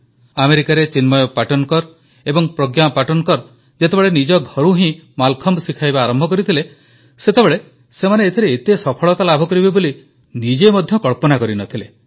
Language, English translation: Odia, When Chinmay Patankar and Pragya Patankar decided to teach Mallakhambh out of their home in America, little did they know how successful it would be